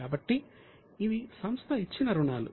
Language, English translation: Telugu, So, these are the loans given by the entity